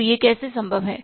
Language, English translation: Hindi, So how it is possible